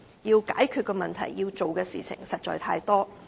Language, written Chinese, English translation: Cantonese, 要解決的問題、要做的事情實在太多。, There are too many problems to be addressed and too many tasks to be undertaken